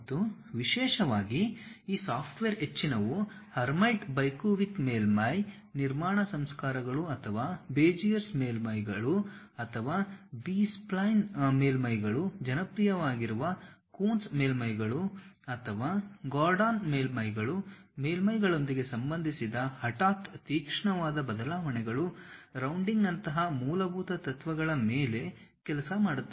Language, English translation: Kannada, And, especially most of these softwares work on basic principles like maybe going with hermite bicubic surface construction processors or Beziers surfaces or B spline surfaces something like, Coons surfaces which are popular or Gordon surfaces sudden sharp changes associated with surfaces, something like rounding of surfaces like fillet surfaces, something like chopping off these materials named offset surfaces